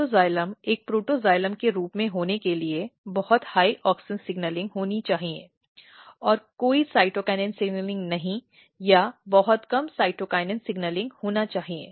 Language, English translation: Hindi, So, in protoxylem for protoxylem to be as a protoxylem, what has to happen there should be very high auxin signaling and no cytokinin signaling or very low cytokinin signaling